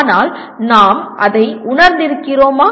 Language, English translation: Tamil, But are we sensitized to that